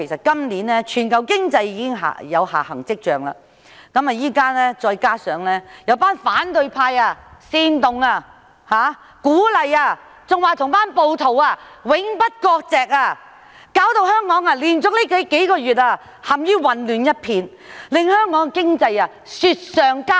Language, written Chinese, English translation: Cantonese, 今年全球經濟已有下行跡象，再加上現在有反對派煽動、鼓勵甚至表示與那些暴徒永不割席，導致香港連續數月陷於一片混亂，經濟雪上加霜。, As a result of the global economy showing signs of downward adjustment this year and coupled with the fact that the opposition party has instigated and supported the rioters and even vowed not to sever ties with them till death Hong Kong has plunged into chaos and our economy has been further dampened for successive months